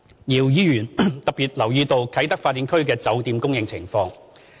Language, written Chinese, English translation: Cantonese, 姚議員特別留意到啟德發展區的酒店供應情況。, Mr YIU has paid special attention to the availability of hotels in the Kai Tak Development Area